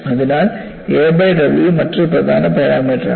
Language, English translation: Malayalam, So, a by W is another important parameter